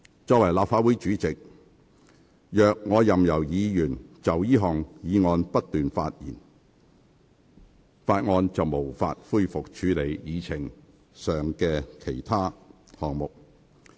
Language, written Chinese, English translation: Cantonese, 作為立法會主席，我如任由議員就這項議案不斷發言，立法會便無法恢復處理議程上的項目。, As the President of the Legislative Council if I allow Members to speak incessantly on this motion the Legislative Council will not be able to resume the handling of other items on the agenda